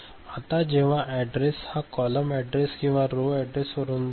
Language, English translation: Marathi, Now, when this coming from the column address right, row and column address